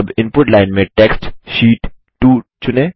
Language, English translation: Hindi, Now select the text Sheet 2 in the Input Line